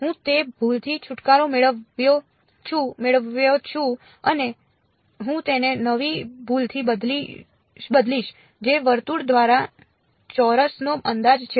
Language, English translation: Gujarati, I get rid of that error and I replace it by a new error which is approximating a square by a circle